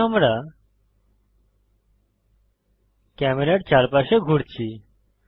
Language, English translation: Bengali, Now we are rotating around camera